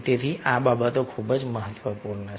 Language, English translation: Gujarati, so these things are really very, very important